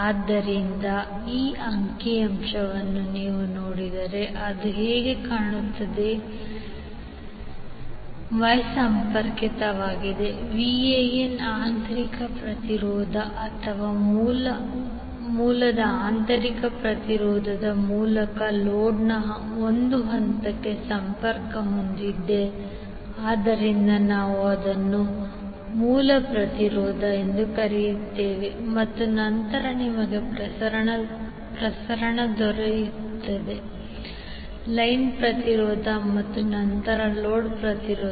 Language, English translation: Kannada, So how it will look like if you see this particular figure the source is Y connected VAN is connected to the A phase of the load through internal resistance or internal impedance of the source, so we will call it as source impedance and then you will have transmission line impedance and then the load impedance